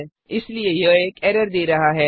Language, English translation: Hindi, Hence it is giving an error